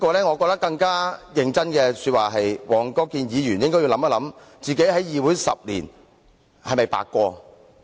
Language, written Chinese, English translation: Cantonese, 我真的覺得黃國健議員應要考慮一下，他在議會10年是否白過。, I really think Mr WONG Kwok - kin should consider whether he has spent 10 years of idleness in the legislature